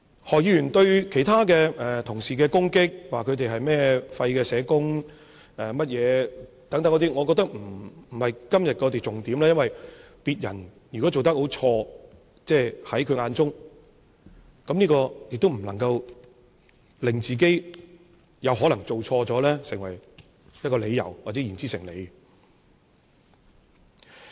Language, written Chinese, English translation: Cantonese, 何議員對其他同事的攻擊，說他們是廢的社工等，我覺得不是今天的重點，因為如果別人在他眼中做得很錯，也不能成為他可能做錯事的理由，或令他的說法言之成理。, I think Dr HOs attack on other colleagues saying they are useless social workers is not the focus of todays debate . It is because even others have acted very badly in his eyes this cannot be the justification for his possible wrongdoing or give sense to his remarks